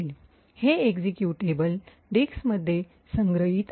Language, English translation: Marathi, So, this executable is stored in the disk